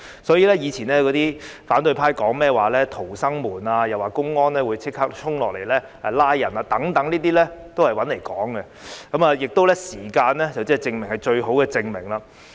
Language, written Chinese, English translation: Cantonese, 所以，過去反對派說甚麼逃生門，又說內地公安可以立刻衝下來拘捕人等，均是胡說八道的，而時間亦是最好的證明。, Hence when the opposition camp previously mentioned the so - called emergency exit door and said that the public security officers from the Mainland could immediately come to Hong Kong to arrest certain people they were talking nonsense . Time can serve as the best proof